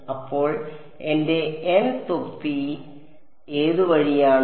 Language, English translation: Malayalam, So, which way is my n hat